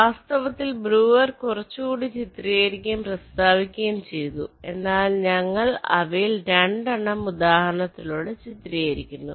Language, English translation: Malayalam, in fact, breuer illustrated and stated a few more, but we are just illustrating two of them with example so that you know exactly what is being done